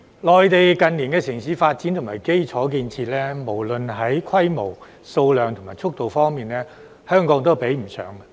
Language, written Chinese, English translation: Cantonese, 內地近年的城市發展和基礎建設，無論在規模、數量和速度方面，香港都比不上。, In recent years Hong Kong cannot compare with the Mainland in city development and infrastructure regardless of scale quantity and speed